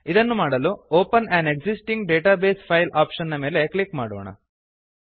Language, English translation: Kannada, To do so, let us click on the open an existing database file option